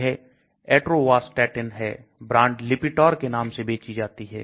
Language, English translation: Hindi, That is the Atorvastatin, marketed under the trade name of Lipitor